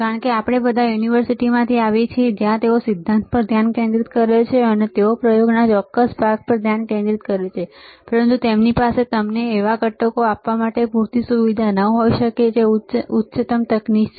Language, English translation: Gujarati, Because we all come from universities, where they focus on theory, and they focused on certain set of experiments; but they may not have enough facility to give you all the components which are high end technology